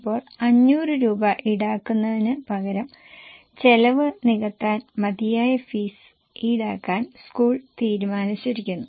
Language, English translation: Malayalam, Now, instead of charging 500, school wants to just cover enough fee to cover the costs